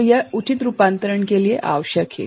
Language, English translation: Hindi, So, this is required for proper conversion, this is required for proper conversion